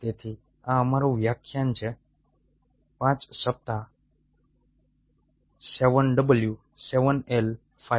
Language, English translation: Gujarati, so this is a our lecture five week seven